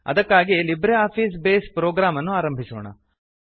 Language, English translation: Kannada, For this, let us invoke the LibreOffice Base program